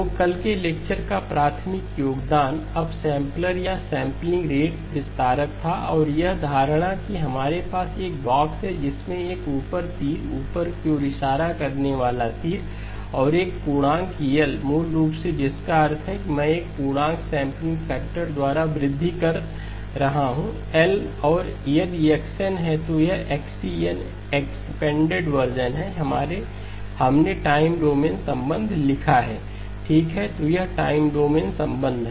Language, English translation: Hindi, So the primary contribution of yesterday's lecture was the upsampler or the sampling rate expander and the notation that we have is a box with a up arrow, upward pointing arrow and an integer L basically which means that I am doing an increase by an integer sampling factor L and if this is x of n, this is xE of n expanded version, we wrote down the time domain relationship xE of n is x of n by L if n is equal to a multiple of L, 0 otherwise okay that is the time domain relationship